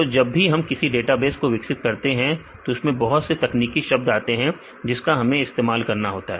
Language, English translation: Hindi, So, because when we develop database there will be several technical terms which we use in the database